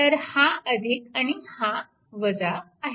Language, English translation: Marathi, So, this is the figure